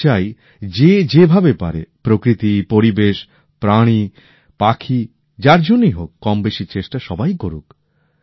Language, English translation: Bengali, I would like that for nature, environment, animals, birdsor for whomsoever small or big efforts should be made by us